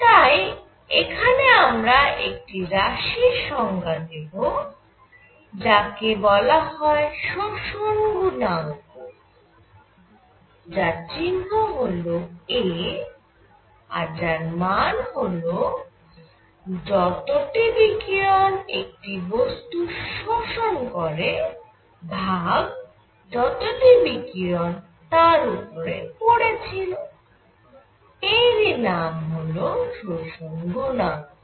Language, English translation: Bengali, So with this, we are going to define something called the absorption coefficient which is a; symbol is a, which is radiation absorbed by a body divided by radiation incident on it; that is the absorption coefficient